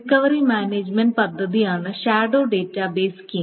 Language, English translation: Malayalam, So the shadow database scheme is a recovery management scheme